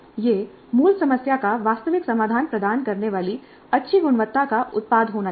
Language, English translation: Hindi, It must be a product of good quality providing realistic solution to the original problem